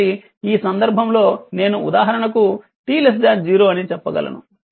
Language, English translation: Telugu, So, in that case your I can say that t less than 0 for example, right